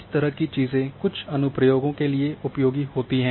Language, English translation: Hindi, So, these kind of things are useful for certain applications